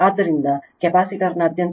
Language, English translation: Kannada, Therefore, voltage across the capacitor will be 50 into 0